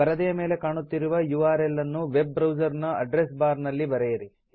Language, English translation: Kannada, In a web browser address bar, type the URL shown on the screen